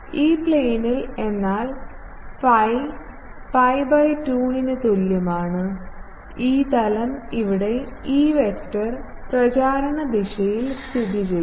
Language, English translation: Malayalam, E plane means phi is equal to pi by 2, E plane, where the E vector lies with the propagation direction